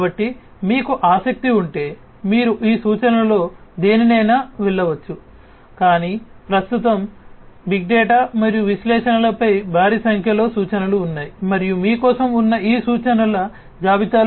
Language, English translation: Telugu, So, if you are interested you could go through any of these references, but there are huge number of references on big data and analytics at present and you could go even beyond these lists of references that are there for you